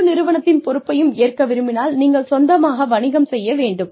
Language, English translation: Tamil, If you want to take on the responsibility of the entire organization